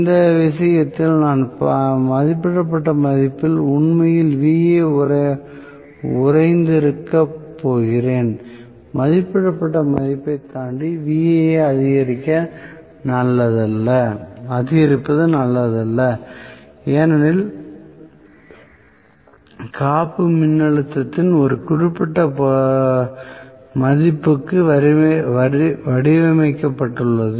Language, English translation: Tamil, In this case I am going to have actually Va frozen at rated value, it is not good to increase Va beyond rated value because the insulation are designed for a particular value of voltage